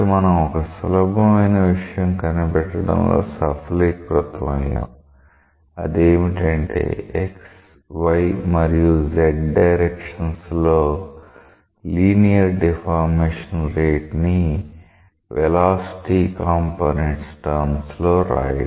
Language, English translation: Telugu, So, we have been successful in finding out a very simple thing, what is the rate of linear deformation along x, y and z in terms of the velocity components